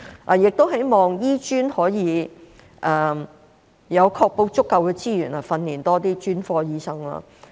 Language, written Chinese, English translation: Cantonese, 我亦希望醫專可以確保有足夠的資源，訓練多些專科醫生。, I also hope that HKAM can ensure there are adequate resources to train more specialist doctors